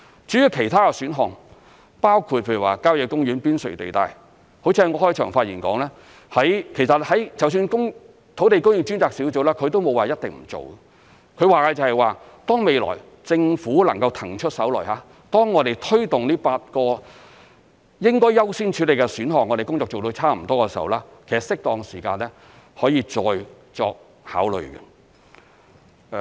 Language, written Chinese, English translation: Cantonese, 至於其他的土地供應選項，包括譬如說郊野公園邊陲地帶，好像我在開場發言所說，其實土地供應專責小組也沒有說一定不做，它說的是當未來政府能夠騰出手來，當我們推動這8個應該優先處理的選項，工作做得差不多的時候，適當時間可以再作考慮。, As for the other land supply options such as developing the periphery of country parks just as I said in my opening remarks the Task Force has not ruled out the possibility of implementing them . According to the Task Force these options will be considered afresh in due course when the Government has almost finished with the work on promoting the eight priority options and is able to free up some manpower in the future